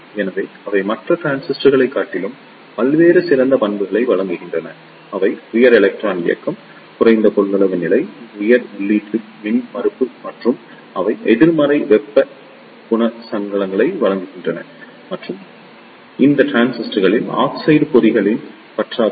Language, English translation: Tamil, So, they provide the various better characteristics over other transistors; they are high electron mobility, low capacitance level, high input impedance and they providing negative temperature coefficients and there is lack of oxide trap in these transistors